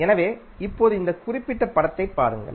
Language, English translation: Tamil, So, now look at this particular figure